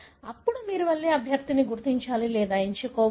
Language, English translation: Telugu, Then you have to go and identify or select candidate